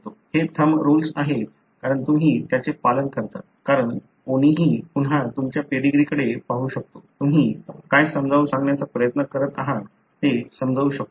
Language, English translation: Marathi, So, these are thumb rules because you follow it, because anyone else again can look into your pedigree, can understand what really you are trying to explain